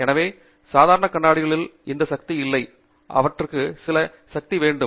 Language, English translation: Tamil, So, normal glasses these have power, they have some power